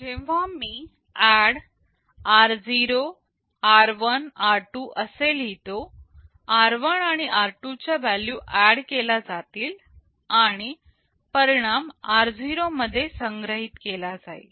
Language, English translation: Marathi, So, when I write ADD r0, r1, r2 the values of r1 and r2 will be added and the result will be stored in r0